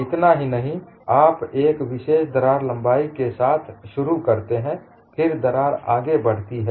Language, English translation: Hindi, Not only this, you start with the particular crack length, then the crack advances